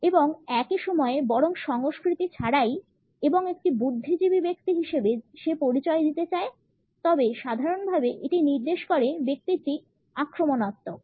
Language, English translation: Bengali, And at the same time is rather culture and wants to come across as an intellectual person, in general wants to indicate that the person is in offensive